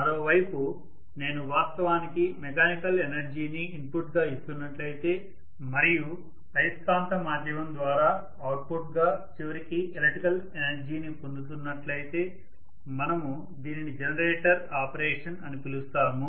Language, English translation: Telugu, On the other hand, if I am actually giving mechanical energy as the input and we are going to have ultimately electrical energy as the output through the magnetic via media again, we call this as the generator operation